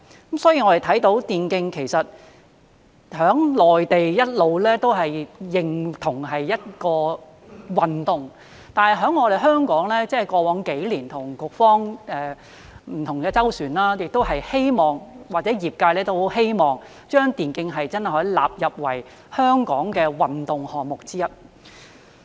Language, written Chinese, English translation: Cantonese, 我們看到電競在內地一直被認同是一種運動，但在香港，過往幾年我們與局方就此有不同的周旋，而業界亦很希望真的可以把電競納入為香港的運動項目之一。, We have seen that e - sports has all along been recognized as a sport in the Mainland but in Hong Kong we have had different dealings in this regard with the Bureau over the past few years and the industry does hope that e - sports can really be included as a sport in Hong Kong